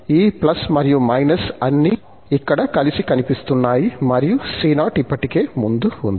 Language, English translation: Telugu, So, all these plus and minus are appearing together here and the c0 is already there in the front